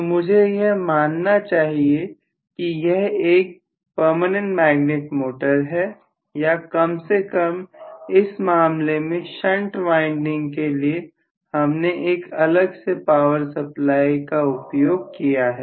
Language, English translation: Hindi, So I should assume that maybe it is a PM motor or at least in this particular case shunt winding I have to connect it to a separate power supply, Right